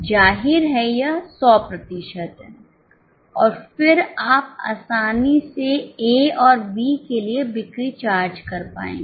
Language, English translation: Hindi, Obviously it is 100% and then you will be easily able to charge the sales for A and B